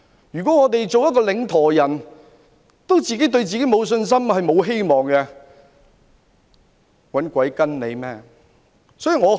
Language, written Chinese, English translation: Cantonese, 如果領舵人對自己也沒有信心及希望，誰會願意跟從？, If the helmsman does not have confidence and hope in himself who will be willing to follow him?